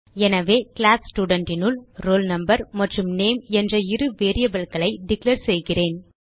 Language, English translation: Tamil, So inside this class Student let me declare two variables Roll Number and Name